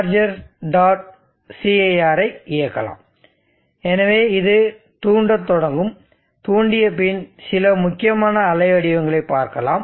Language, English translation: Tamil, cir so it will start stimulating let it stimulate and after stimulating we will look at some important wave forms